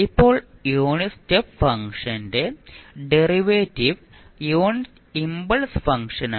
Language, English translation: Malayalam, Now, derivative of the unit step function is the unit impulse function